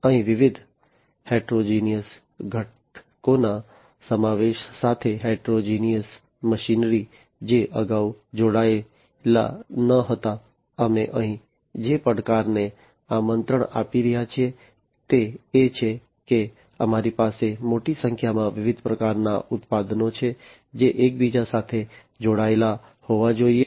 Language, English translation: Gujarati, Here with the incorporation of interconnection of different heterogeneous components, heterogeneous machinery, which were not connected before, what the challenge that we are inviting over here, is that we are having large number of different types of products, which will have to be interconnected